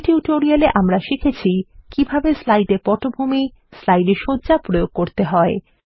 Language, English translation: Bengali, In this tutorial we learnt how to apply Backgrounds for slides, Layouts for slides Here is an assignment for you